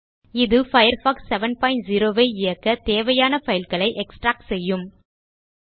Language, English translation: Tamil, This will start extracting the files required to run Firefox 7.0